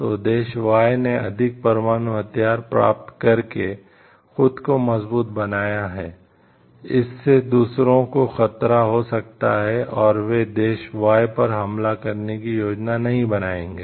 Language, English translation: Hindi, So, if the country Y has made itself strong by getting more nuclear weapons, that may give a threat perception to others and they will not be planning to attack country Y